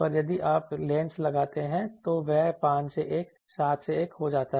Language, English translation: Hindi, But, then if you put the lens then that becomes 5 is to 1 become 7 is to 1